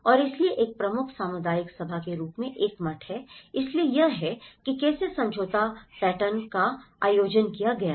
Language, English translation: Hindi, And so that, there is a monastery as a major community gathering, so this is how the settlement pattern has been organized